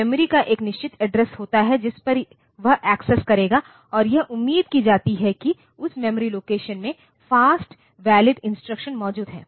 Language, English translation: Hindi, There is a fixed address of the memory at which it will access and it is expected that the fast valid instruction is there in that memory location